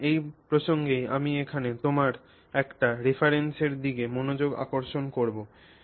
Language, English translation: Bengali, So, it is in this context that I will draw your attention to a reference here